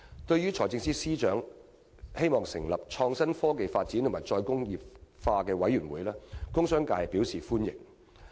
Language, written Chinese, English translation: Cantonese, 對於財政司司長擬成立創新、科技發展與"再工業化"委員會，工商界表示歡迎。, The industrial and commercial sectors welcome the Financial Secretarys proposal to set up a new committee on innovation and technology development and re - industrialization